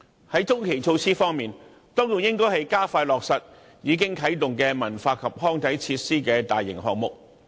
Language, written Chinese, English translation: Cantonese, 在中期措施方面，當局應該加快落實已啟動的文化及康體設施大型項目。, As for medium - term measures the authorities should expedite major projects of cultural recreational and sports facilities which have already commenced